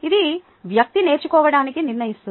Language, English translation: Telugu, that determines the learning by the person